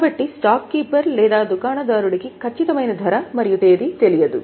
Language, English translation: Telugu, So, the stockkeeper or the shopkeeper does not know exact price and the date